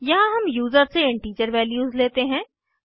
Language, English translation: Hindi, Here we accept integer values from the user